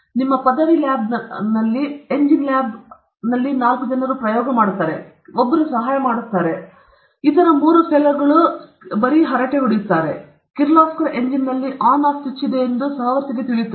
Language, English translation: Kannada, In your, under graduate lab, the engines lab and all that, four people will do the experiment; only one fellow will do; all other three fellows will be chatting okay; only that fellow will know that in the Kirloskar engine where is On Off switch